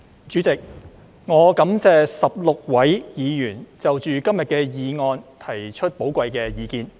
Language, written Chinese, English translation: Cantonese, 主席，我感謝16位議員就今天的議案提出寶貴的意見。, President I thank the 16 Members for their valuable opinions on todays motion